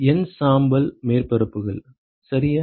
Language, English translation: Tamil, N gray surfaces ok